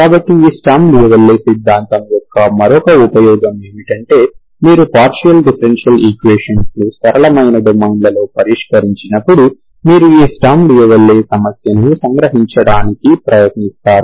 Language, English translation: Telugu, So another use of this sturm louisville theory is you try to extract these sturm louisville problem when you solve partial differential equations in a simpler domains, that we will do in the future videos, okay